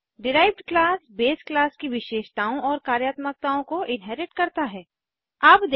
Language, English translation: Hindi, Derived class inherits the properties and functionality of the base class